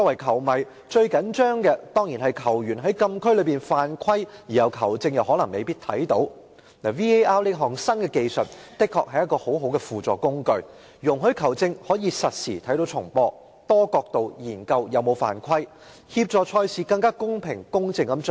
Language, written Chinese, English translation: Cantonese, 球迷最緊張的情況，當然是球員在禁區犯規，而球證又未必看到 ，VAR 這項新技術的確是很好的輔助工具，讓球證可以實時觀看重播，多角度研究球員有否犯規，協助賽事更公平公正地進行。, Football fans are certainly most anxious about foul play in the penalty area which the referee may not be able to see . The new VAR technology is indeed a good ancillary tool which enables the referee to watch real - time replay and examine from multiple angles whether players have fouled thus helping to level the playing field